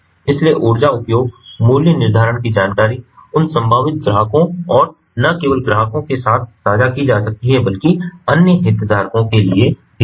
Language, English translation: Hindi, so this information about the energy usage, pricing information, they can be shared with that potential customers, and not only customers, but also the other stake holders